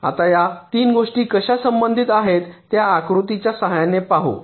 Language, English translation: Marathi, now let us see, with the help of a diagram, how these three things are related